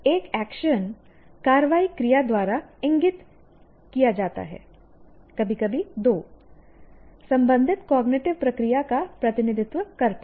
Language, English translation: Hindi, An action is indicated by an action verb, occasionally too, representing the concerned cognitive process